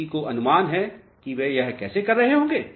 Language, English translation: Hindi, Any guess how they will be doing this